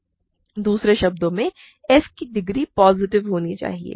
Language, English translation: Hindi, So, degree of f X must be positive